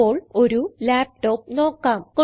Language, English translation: Malayalam, Now, let us briefly look at a laptop